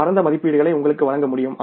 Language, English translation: Tamil, It is possible to give you the broad estimates